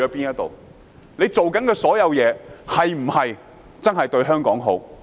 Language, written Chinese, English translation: Cantonese, 他們做的所有事，是否真的為香港好？, Are they really doing all the things for the good of Hong Kong?